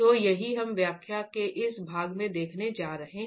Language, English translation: Hindi, So that's what we're going to be looking at in this half of the lecture